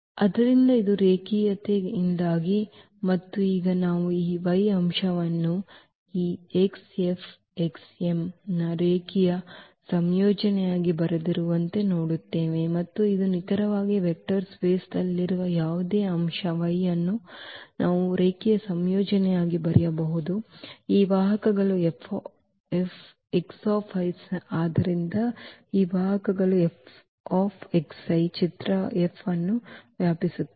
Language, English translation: Kannada, So, this is because of the linearity and now what we see that this y element we have written as a linear combination of this x F x m and this is exactly that any element y in the vector space y we can write as a linear combination of these vectors F x i’s